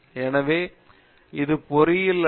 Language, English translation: Tamil, So, that is not engineering